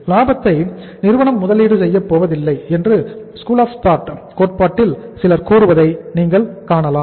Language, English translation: Tamil, One school of thought in the theory you will find is some people will say that profit is not going to be invested by the firm